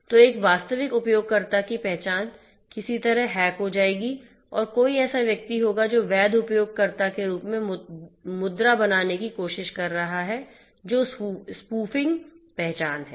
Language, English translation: Hindi, So, identity of a genuine user will be somehow hacked and will be you know somebody will be trying to pose as a legitimate user that is the spoofing identity